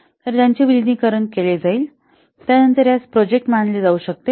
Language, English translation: Marathi, So since they will be merged, then this can be treated as a project